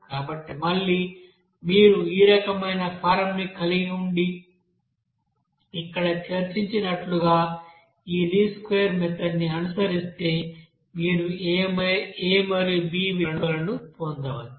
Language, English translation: Telugu, So again, if you are having this type of form and then follow this least square method as discussed here, you can get what will be the value of a and b there